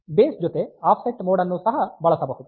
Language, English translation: Kannada, So, base plus offset mode can also be used